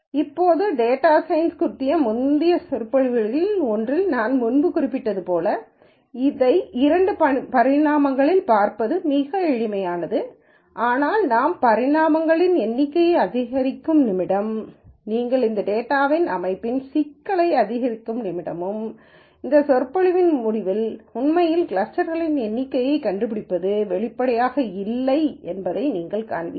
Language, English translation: Tamil, Now, again as I mentioned before in one of the earlier lectures on data science, very easy to see this in two dimensions, but the minute we increase the number of dimensions and the minute we increase the complexity of the organization of the data which you will see at the end of this lecture itself, you will you will find that finding and the number of clusters is really not that obvious